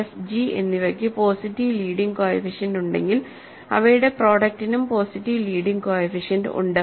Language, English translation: Malayalam, If f and g have positive leading coefficient their product also as positive leading coefficient, ok